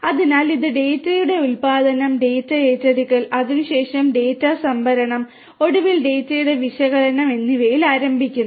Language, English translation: Malayalam, So, it starts with generation of the data, acquisition of the data, there after storage of the data and finally, the analysis of the data